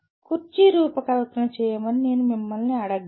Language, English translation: Telugu, I can ask you to design a chair